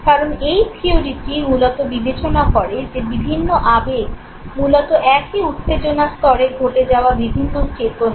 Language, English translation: Bengali, And therefore this theory basically considers different emotions as diverse cognition of the same arousal